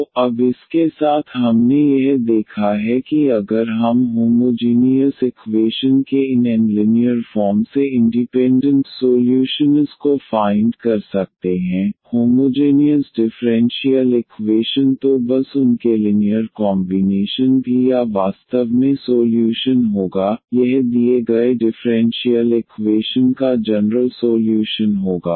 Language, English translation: Hindi, So, with this now what we have seen that if we can find these n linearly independent solutions of the homogenous equation; homogeneous differential equation then just their linear combination will be also the solution of or in fact, it will be the general solution of the given differential equation